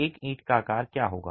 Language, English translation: Hindi, What would be the size of one brick